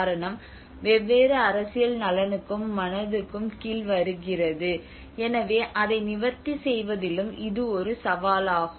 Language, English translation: Tamil, So it is the cause is falling under the different political interest and the mind so it is a challenges in addressing that as well